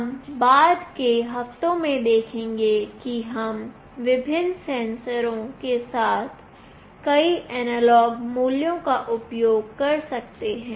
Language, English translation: Hindi, We will see in the subsequent weeks that we will be using or reading many analog values with various sensors